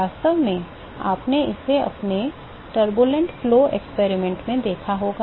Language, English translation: Hindi, In fact, you must have seen this in your turbulent flow experiment